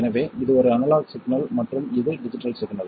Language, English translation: Tamil, So this is an analog signal and this is a digital signal